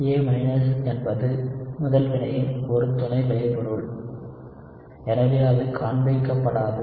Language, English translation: Tamil, A is just a byproduct of the first reaction, so it does not show up